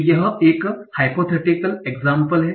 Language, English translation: Hindi, So, this is a hypothetical example